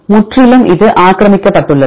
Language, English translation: Tamil, Completely this occupied by